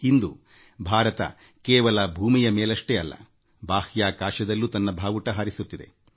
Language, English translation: Kannada, Today, India's flag is flying high not only on earth but also in space